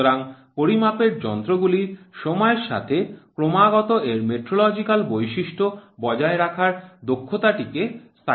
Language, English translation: Bengali, So, so ability of measuring instrument to constantly maintain its metrological characteristics within time is called as stability